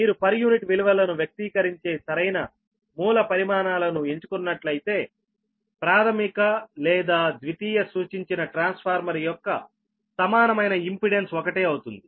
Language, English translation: Telugu, right, if you choose the proper base quantities which express in per unit values, the equivalent impedance of transformer, whether referred to primary or secondary, is the same